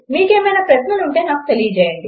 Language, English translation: Telugu, If you have any questions, please let me know